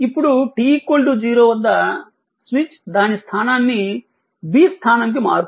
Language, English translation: Telugu, Now, at time t is equal to 0, the switch changes its position to B